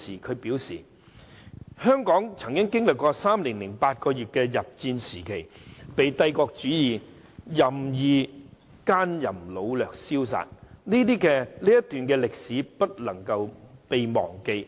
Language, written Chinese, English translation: Cantonese, 她表示："香港曾經歷3年8個月的日佔時期，帝國主義者任意姦淫擄掠燒殺，這段歷史不能夠被忘記。, She said During the three years and eight months of Japanese occupation of Hong Kong the imperialists wilfully committed all kinds of atrocities including rape pillage arson and murder . This page of history must not be forgotten